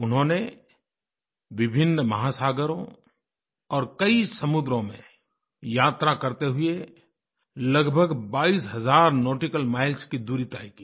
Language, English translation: Hindi, They traversed a multitude of oceans, many a sea, over a distance of almost twenty two thousand nautical miles